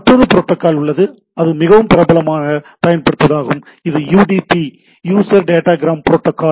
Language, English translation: Tamil, There is another protocol which is also very popularly used it’s UDP, User Datagram Protocol